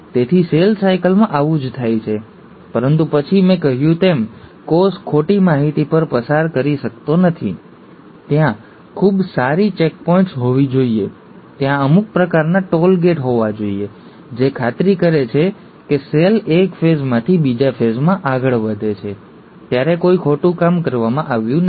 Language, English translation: Gujarati, So, this is what happens in cell cycle, but then, as I said, a cell cannot afford to pass on wrong information, so there has to be very good checkpoints, there has to be some sort of toll gates, which make sure, that as the cell moves from one phase to the next phase, no wrongdoings have been done